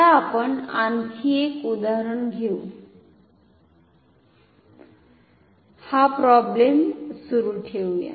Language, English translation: Marathi, Now let us take another example let us continue this problem ok